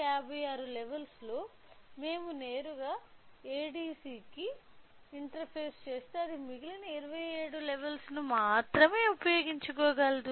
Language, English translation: Telugu, So, out of 256 levels if we directly interface sensor to ADC it can only utilise 27 levels the remaining so, it is not utilizing